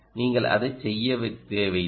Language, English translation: Tamil, why do you want to do this